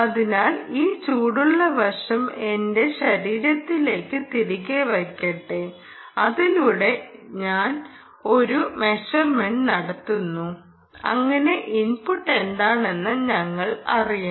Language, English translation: Malayalam, so let me put back this ah hot side to my body and i make a measurement across this so that we know what is the input